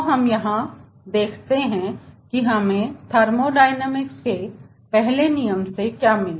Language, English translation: Hindi, so this is the thing which we come to know from first law of thermodynamics